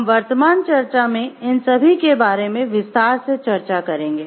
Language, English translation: Hindi, We will elaborate each of these in the present discussion